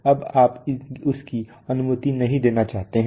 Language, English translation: Hindi, Now you do not want to allow that